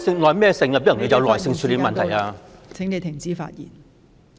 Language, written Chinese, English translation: Cantonese, 梁耀忠議員，你的發言時限到了，請停止發言。, Mr LEUNG Yiu - chung your speaking time is up . Please stop speaking